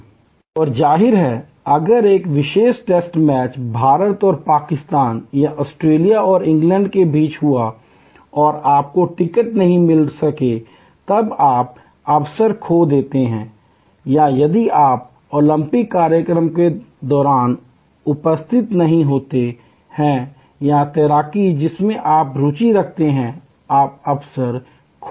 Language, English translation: Hindi, And obviously, if a particular test match happen between India and Pakistan or Australia and England and you could not get a ticket then you loss the opportunity or if you are not present during the Olympics event of swimming which you are interested in, you loss the opportunity